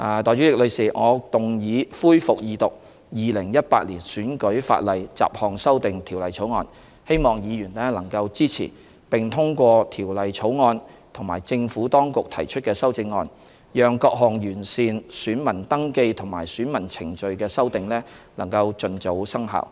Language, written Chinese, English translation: Cantonese, 代理主席，我動議恢復二讀《2018年選舉法例條例草案》，希望議員能支持並通過《條例草案》及政府當局提出的修正案，讓各項完善選民登記及選舉程序的修訂盡早生效。, 569C; and e remove a reference to repealed provisions . Deputy President I move that the Electoral Legislation Bill 2018 passes the resumed Second Reading and hope Members will support and vote for the Bill as well as the CSAs proposed by the Administration so that amendments seeking to enhance the voter registration and electoral procedures can come into force expeditiously